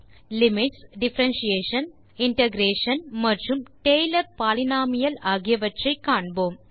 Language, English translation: Tamil, We shall be looking at limits, differentiation, integration, and Taylor polynomial